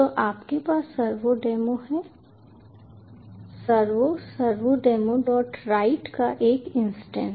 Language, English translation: Hindi, so you have servodemo, the instance of the servo